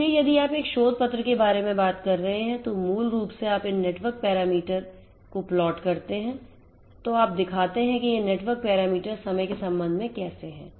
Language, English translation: Hindi, So, if you are talking about a research paper then basically you plot these network parameters you so, how these network parameters very with respect to time and